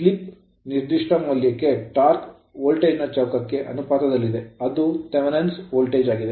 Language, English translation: Kannada, For a given value of slip if slip is known, the torque is then proportional to the square of the your voltage that is Thevenin voltage right